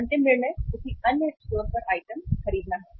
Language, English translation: Hindi, Last decision is buy item at another store, buy item at another store